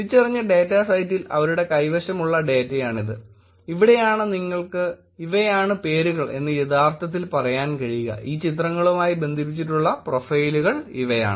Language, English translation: Malayalam, This is the data that they had for the identified data set, which is where you could actually say these are the names; these are profiles that are connected to these pictures